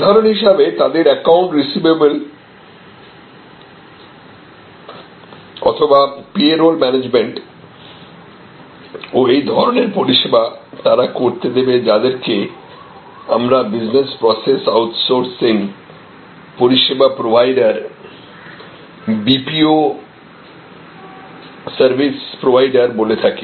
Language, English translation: Bengali, For example, their account receivable management or their payroll management and such services to this, what we call business process outsourcing, service providers, BPO service providers